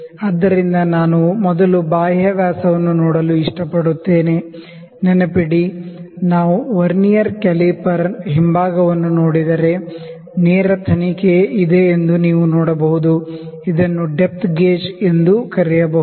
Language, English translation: Kannada, So, I like to first see the external dia, also not to forget, if we see the back side of the Vernier caliper, you can see there is a straight probe; this is this can also be known as depth gauge